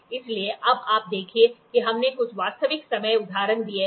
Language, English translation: Hindi, So, now, you see we have given some real time examples